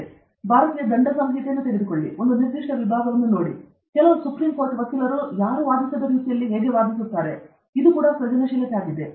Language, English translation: Kannada, Or take Indian penal code, take a particular section, some supreme court lawyer argues it in a way which nobody else has argued; that is also creativity